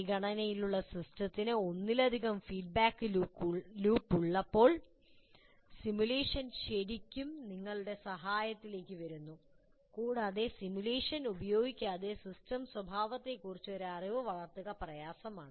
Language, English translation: Malayalam, When the system under consideration has multiple feedback loops, that is where simulation really comes to your aid, it is difficult to develop a feel for the system behavior without using simulation